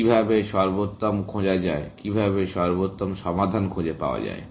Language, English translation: Bengali, How to look at optimal, how to find optimal solutions